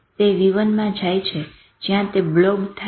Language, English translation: Gujarati, It goes into v1 where there blobs